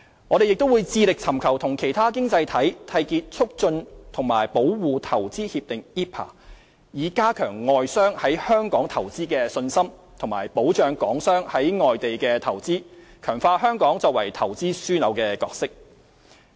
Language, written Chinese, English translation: Cantonese, 我們亦致力尋求與其他經濟體締結促進和保護投資協定，以加強外商在香港投資的信心，以及保障港商在外地的投資，強化香港作為投資樞紐的角色。, We have also been forging Investment Promotion and Protection Agreements IPPAs with other economies to boost their confidence in investing in Hong Kong and secure better protection of Hong Kong businessmens investments overseas so as to strengthen Hong Kongs position as an investment hub